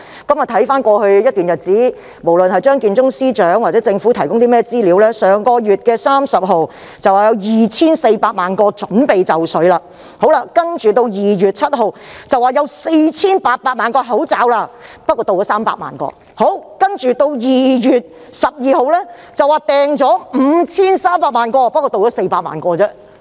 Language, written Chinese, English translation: Cantonese, 看回過去一段日子，無論是張建宗司長或政府提供的資料，均顯示上月30日會有2400萬個口罩準備就緒；到了2月7日，又說已訂購4800萬個口罩，但只有300萬個運抵香港；接着2月12日表示已訂購5300萬個，但只有400萬個運到。, According to the information provided by Chief Secretary Matthew CHEUNG and the Government earlier 24 million face masks were supposed to be available on 30 January; on 7 February they said that among the 48 million face masks procured only 3 million had reached Hong Kong . Then on 12 February they said that while 53 million face masks had been procured only 4 million were delivered